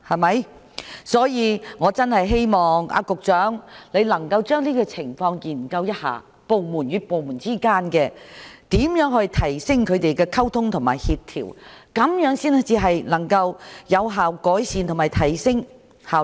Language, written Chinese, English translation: Cantonese, 因此，我真的希望局長能夠研究一下這些情況，如何提升部門之間的溝通和協調，這樣才能夠有效改善及提升效率。, For that reason I really hope the Secretary can look into the situation and find a way to improve and enhance inter - departmental communication and coordination for only in so doing can the efficiency be improved and raised